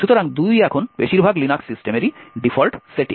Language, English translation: Bengali, So, this 2 now is the default setting in most Linux systems